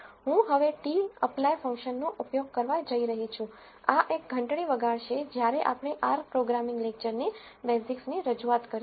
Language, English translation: Gujarati, I am going to use the t apply function now this should ring a bell we will on this in the introduction to basics of R programming lecture